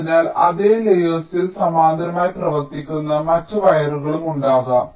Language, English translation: Malayalam, so there can be other wires running in parallel on the same layer